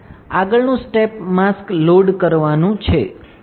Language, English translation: Gujarati, Next step is to load the mask